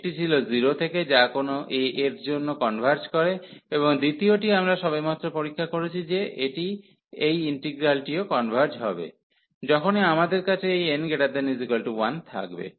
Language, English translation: Bengali, One was 0 to a which converges for any arbitrary a, and the second one we have just tested that this integral will also converge, whenever we have this n greater than equal to 1